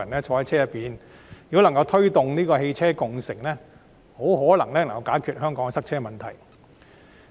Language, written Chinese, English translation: Cantonese, 香港如果能夠推動汽車共乘，可能可以解決塞車問題。, If ride - sharing can be promoted in Hong Kong the problem of congestion can possibly be solved